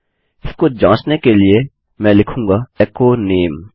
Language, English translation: Hindi, To test this out Ill say echo name